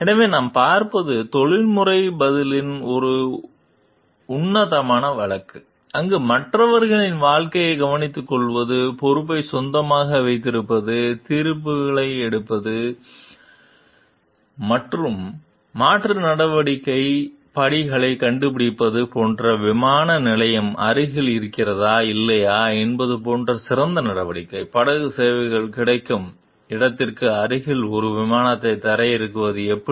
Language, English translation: Tamil, So, this what we see is a classic case of professional response, where we talk of taking care of the lives of others being like owning up the responsibility, taking judgments finding out alternative courses of action like which is a better course of action like if we like airport is near or not; how to land a plane near the where the ferry services are available